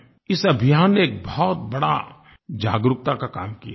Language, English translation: Hindi, This campaign has worked in a major way to generate awareness